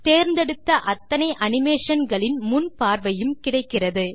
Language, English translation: Tamil, You can also select more than one animation to preview